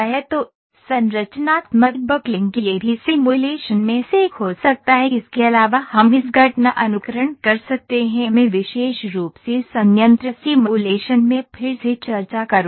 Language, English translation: Hindi, So, structural buckling this can also one of the simulation other than that we can have event simulation to this I will specifically discuss again in plant simulation